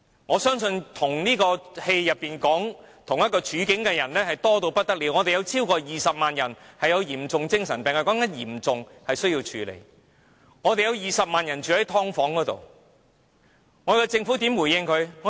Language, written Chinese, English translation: Cantonese, 我相信與電影有相同處境的人多不勝數，我們有超過20萬人患有嚴重精神病，說的是達致嚴重程度的病人需要處理，我們有20萬人住在"劏房"，政府如何回應他們？, I believe many people are in the same situation as the protagonists in the movie . We have over 200 000 people suffering from severe mental illness . I am talking about the cases of patients need to be handled